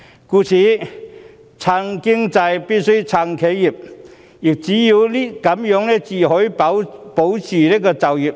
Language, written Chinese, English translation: Cantonese, 故此，挺經濟必須挺企業，這樣才能保住就業。, Therefore supporting enterprises is essential in supporting the economy and in turn safeguarding jobs